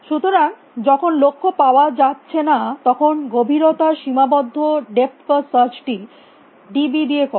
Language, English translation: Bengali, So, while goal not found do depth bound depth first search with the bound d b